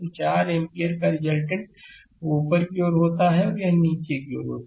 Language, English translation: Hindi, So, resultant of 4 ampere it is upward and it is downwards